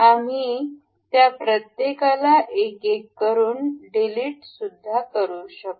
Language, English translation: Marathi, We can delete each of them one by one